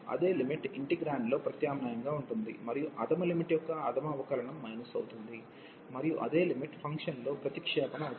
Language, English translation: Telugu, And that same limit will be substituted in the integrand, and minus the lower the derivative of the lower limit and the same limit will be substituted into the function